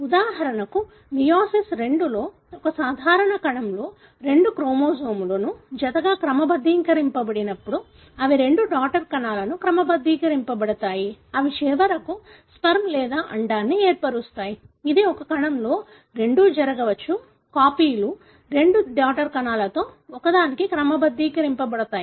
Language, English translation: Telugu, For example, in meiosis II, when in a normal cell the two chromosomes are sorted to the pair, that is sorted to the two daughter cells which eventually form either the sperm or the egg, , it could so happen that in a cell, both copies are sorted to one of the two daughter cells